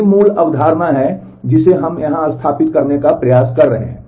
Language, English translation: Hindi, That is the basic concept that we are trying to establish here